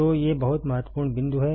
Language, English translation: Hindi, So, these are very important points